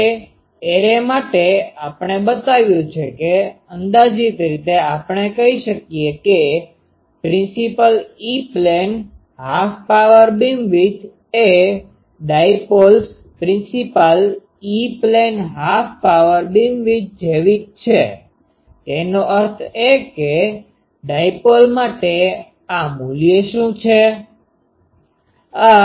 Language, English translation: Gujarati, Now for the array we have shown approximately we can say that principal E plane half power beamwidth is same as the dipoles principal’s E plane half power beamwidth so; that means, what is this value for dipole